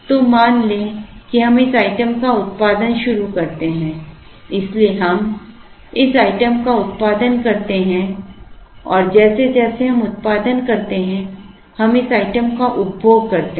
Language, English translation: Hindi, So, let us assume we start producing this item so we produce this item and as we produce, we consume this item